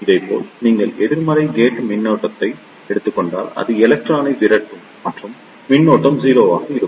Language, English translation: Tamil, Similarly, if you take negative gate voltage, in that case it will repel the electron and the current will be 0